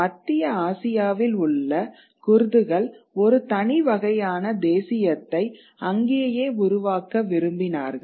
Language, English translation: Tamil, So, the Kurds in Central Asia, there is a desire to form a separate among them a separate kind of nationality right there